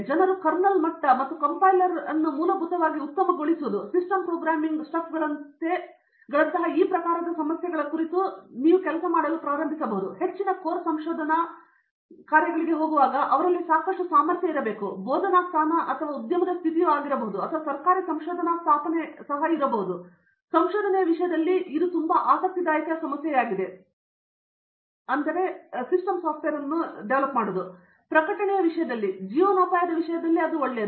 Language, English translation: Kannada, If people start working on these type issues like kernel level and the compiler basically optimizations and lot of system programming stuff, there is a lot of potential for them in terms of going into a very core research jobs be it a faculty position or an industry position or even a government research establishment versions, so that is also very, very interesting problem in terms of research, in terms of publication, in terms of livelihood everything it’s a very good thing